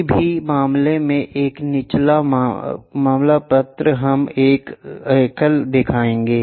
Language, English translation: Hindi, Any points a lower case letter we will show a single one